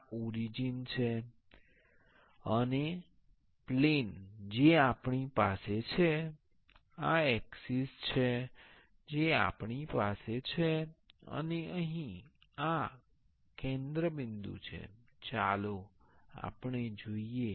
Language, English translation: Gujarati, This is part three this is the origin and the planes we have this are the axis’s we have and this is the center point here let us see